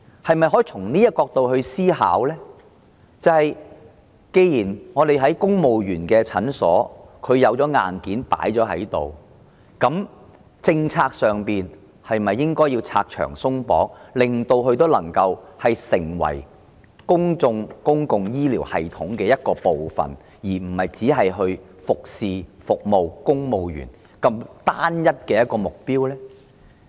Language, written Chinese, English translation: Cantonese, 然而，從這個角度思考，既然在增設公務員診所方面已有現存硬件，在政策上是否應該拆牆鬆綁，讓它們能夠成為公共醫療系統的一部分，而非只為了服務公務員這單一目標呢？, Nevertheless if consideration is made from this angle with the availability of existing hardware for the provision of additional families clinics should red tape not be cut policywise to make such hardware part of the public health care system rather than just meeting the single objective of serving civil servants?